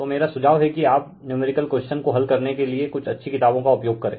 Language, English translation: Hindi, So, my suggestion is you follow some your what you call some good books for solving numericals right